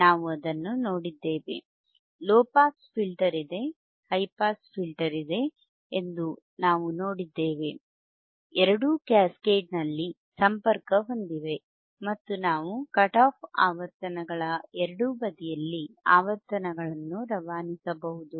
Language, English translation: Kannada, wWe have seen that right, what we have seen that there is a low pass filter, there is a high pass filter, both are connected in we are both are cascaded; and we could pass the frequencies either side of the cut off frequencies